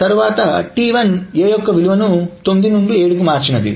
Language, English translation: Telugu, Then T1 is also changing the value of A from 9 to 7